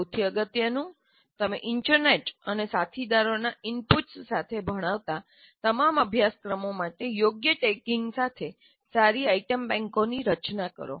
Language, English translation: Gujarati, And the most importantly, design good item banks with proper tagging for all the courses you teach, with inputs from internet and colleagues